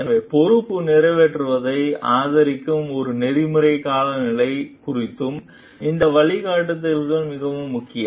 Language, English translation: Tamil, So, these guidelines are also very important regarding an ethical climate the supports fulfillment of responsibility